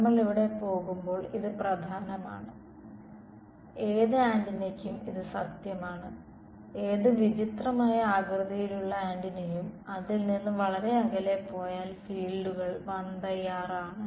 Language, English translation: Malayalam, This will be important as we go here and this is true for any antenna any weird shaped antenna go far away from it the fields are going for fall of has 1 by r